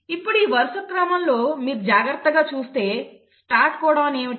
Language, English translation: Telugu, Now, in this sequence if you see carefully, what is the start codon